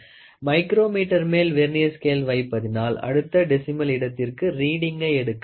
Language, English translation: Tamil, Placing a Vernier scale on the micrometer permits us to take a reading to the next decimal place